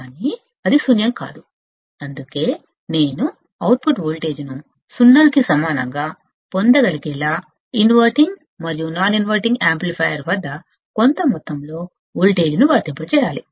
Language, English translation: Telugu, But it is not 0, that is why I have to apply some amount of voltage, at the inverting and non inverting amplifier so that I can get the output voltage equal to 0